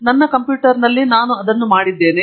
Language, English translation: Kannada, I have done that on my computer